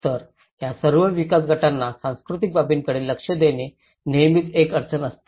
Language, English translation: Marathi, So, there is always a difficulty for all these development groups to address the cultural aspect